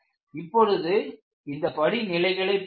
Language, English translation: Tamil, Now, let us look at the steps